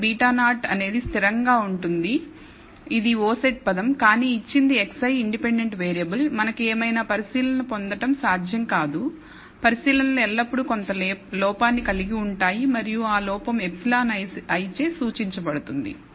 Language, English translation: Telugu, So, beta naught is a constant it is an o set term, but given x i the independent variable, it is not possible to get whatever observations we have, observations always contain some error and that error is denoted by epsilon i